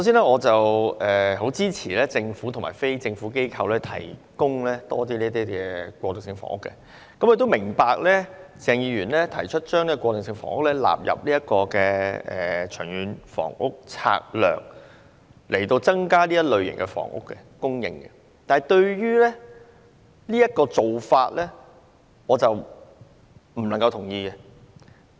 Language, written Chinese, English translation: Cantonese, 我很支持政府和非政府機構提供更多過渡性房屋，亦明白鄭議員提出把過渡性房屋納入《長遠房屋策略》，從而增加這類房屋供應，但對於這種做法，我不能同意。, I support the Government and NGOs to provide more transitional housing . I also understand that Mr CHENG has proposed to include transitional housing in the Long Term Housing Strategy LTHS to increase the supply of transitional housing . But I cannot agree with this approach